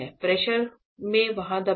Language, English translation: Hindi, In this pressure press there